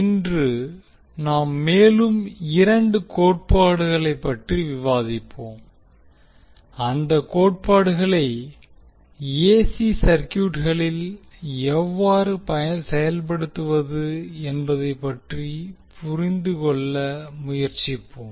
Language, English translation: Tamil, Today we will discuss about two more theorems which with respect to AC circuit analysis we will try to understand how we will implement those theorems in AC circuits